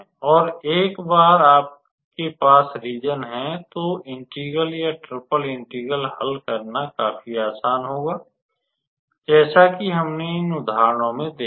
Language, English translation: Hindi, And once you have the region, then doing the integral or performing the triple integral would be fairly easy as we saw in these examples